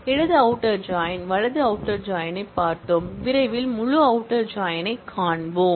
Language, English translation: Tamil, We have seen the left outer join, right outer join and we will soon see the full outer join